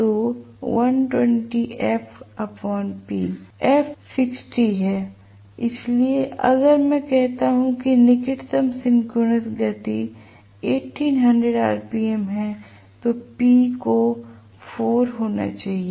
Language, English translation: Hindi, So, 120 f by p, f is 60 so if I say that the closest synchronous speed is 1800 rpm then p has to be 4 poles